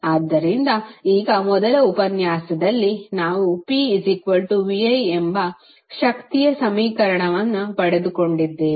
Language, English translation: Kannada, So, now in first lecture we derived the equation of power that was P is equal to V I